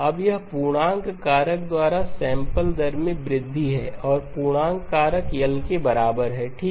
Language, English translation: Hindi, Now this is an increase in sampling rate by an integer factor and the integer factor is equal to L okay